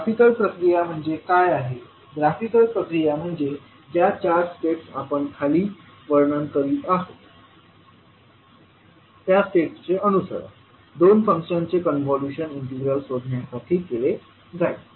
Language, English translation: Marathi, What is the graphical procedure, graphical procedure says that the four steps which we are describing below will be followed to find out the convolution integral of two functions